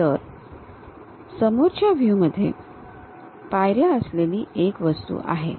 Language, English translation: Marathi, So, from the front view, there is an object with steps